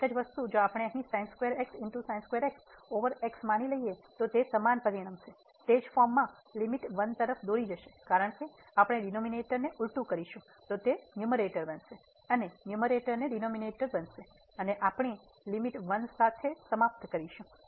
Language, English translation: Gujarati, The same thing if we consider here square over x it will result exactly in the same form and will lead to the limit 1 because, we will have just the reverse the denominator will become numerator and numerator will become denominator and we will end up with limit 1